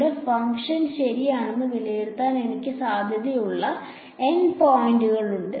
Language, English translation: Malayalam, We have N points at which I have a possibility of evaluating my function ok